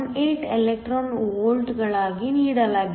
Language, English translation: Kannada, 18 electron volts